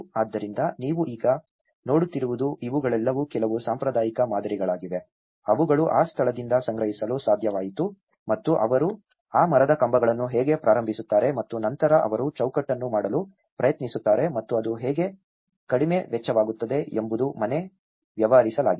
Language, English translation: Kannada, So, what you can see is now these are all some of the traditional patterns, which they could able to gather from that location and how they just start that timber poles and then they try to make the frame and that is how a small low cost house has been dealt